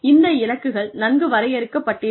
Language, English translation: Tamil, The goals are well defined